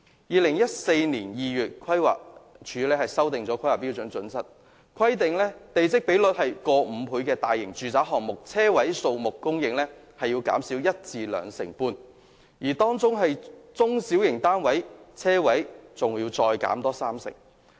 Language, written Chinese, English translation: Cantonese, 2014年2月規劃署修訂了《規劃標準》，規定地積比率逾5倍的大型住宅項目，車位數目供應需要減少一至兩成半，而中型的住宅項目，車位數目更要減少三成。, The Planning Department amended HKPSG in February 2014 requiring that large - scale residential developments having a plot ratio in excess of 5 have to reduce the number of parking spaces by 10 % to 25 % ; whereas medium - scale residential developments have to reduce the number of parking spaces by 30 %